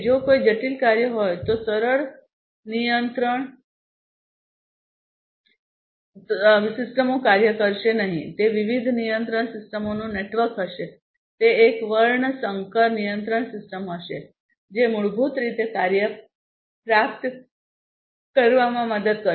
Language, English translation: Gujarati, If there is a complex task, simple control systems will not work, it will be a network of different control systems it will be a hybrid con control system which will basically help in achieving the task